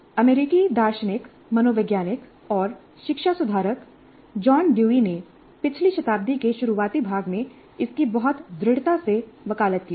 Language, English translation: Hindi, It was advocated very strongly by the American philosopher, psychologist, and educational reformer John Dewey, way back in the early part of the last century